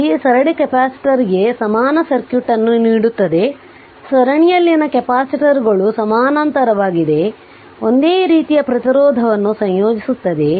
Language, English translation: Kannada, So, it gives the equivalence circuit for the series capacitor, note that capacitors in series combine in the same manner of resistance in parallel